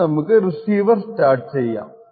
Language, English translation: Malayalam, So, let us stop the receiver and the server